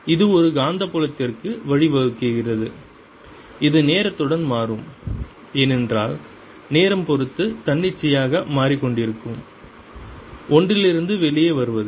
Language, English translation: Tamil, it gives rise to magnetic field which will also change with times, coming out of something which is changing arbitrarily in time